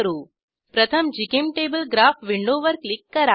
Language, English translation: Marathi, First click on GChemTable Graph window